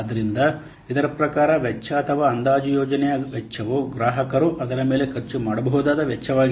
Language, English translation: Kannada, So, according to this, the cost or the estimated project cost is that cost that the customer can spend on it